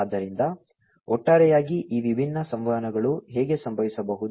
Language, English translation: Kannada, So, this is the overall how these different communications can happen